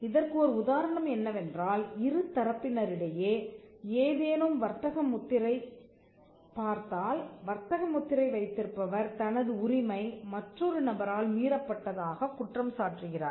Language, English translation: Tamil, Now one instance is, if you look at any trademark dispute between two parties where, trademark holder alleges that his mark has been infringed by another person